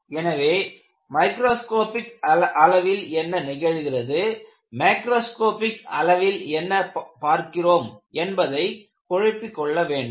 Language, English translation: Tamil, So, you have to delineate what we discuss at the microscopic level and what we understand at the macroscopic level